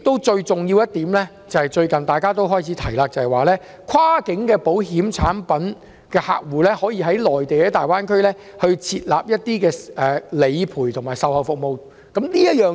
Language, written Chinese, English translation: Cantonese, 最重要的一點，便是最近大家開始提出有關跨境保險產品可以在大灣區為客戶提供理賠和售後服務的建議。, Most importantly some have proposed to provide claims processing and policy servicing for holders of cross - boundary insurance products in the Greater Bay Area